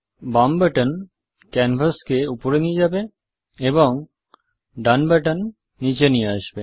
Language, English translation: Bengali, The left button moves the canvas up and the right button moves it down